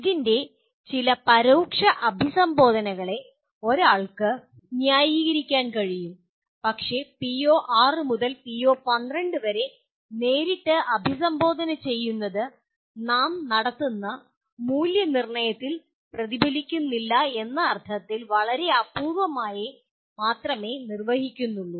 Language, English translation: Malayalam, One can justify some indirect addressing of this but directly PO6 to PO12 are very rarely addressed in the sense they do not get reflected in the assessment that we perform